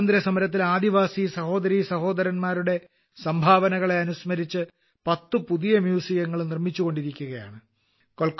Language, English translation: Malayalam, Ten new museums dedicated to the contribution of tribal brothers and sisters in the freedom struggle are being set up